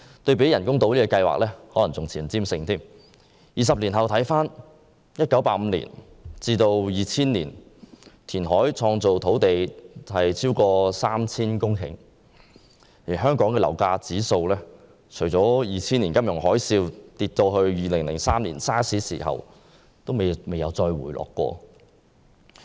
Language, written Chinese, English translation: Cantonese, 二十年過去了，我們回顧一下：香港在1985年至2000年填海造地超過 3,000 公頃，而本地樓價指數除了在2000年金融海嘯至2003年 SARS 爆發期間曾下跌外，便未有回落。, Over 20 years have passed . In retrospect 3 000 hectares of land were created between 1985 and 2000 during which the property price index was basically on an upward trend except between 2000 and 2003 when Hong Kong was hit by one crisis after another such as the financial tsunami and the SARS outbreak